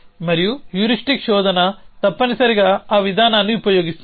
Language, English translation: Telugu, And heuristic search essentially uses that approach